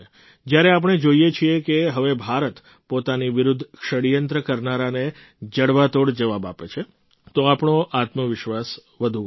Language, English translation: Gujarati, When we witness that now India gives a befitting reply to those who conspire against us, then our confidence soars